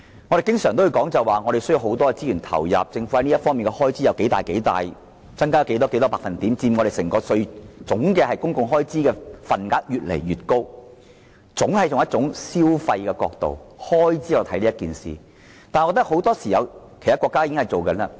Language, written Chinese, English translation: Cantonese, 我們經常說必須投放大量資源，政府在這方面涉及多少開支、增加多少百分點、佔整個公共開支越來越高的份額等，總是從消費或開支角度來看整件事情。, Although we often say that substantial resources must be committed the Government invariably looks at the whole matter from the amount of expenditure incurred the percentage of increase the increasing high proportion of public expenditure and so on